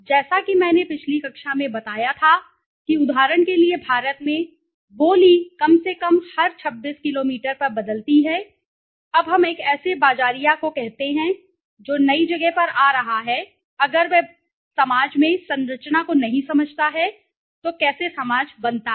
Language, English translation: Hindi, As I told in the last class also that in India for example, language the dialect at least changes every 26 kilometers, now let us say a marketers who is coming to the new place if he does not understand the structure in the society, how the society is formed